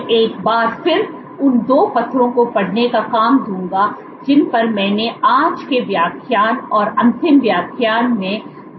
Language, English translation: Hindi, I would once again give reading assignment of the 2 papers that I discussed over the course of the today’s lecture and last lecture